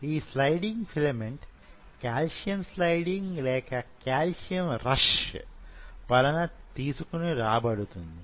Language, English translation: Telugu, And this sliding filament is being brought out by a calcium spiking or calcium rush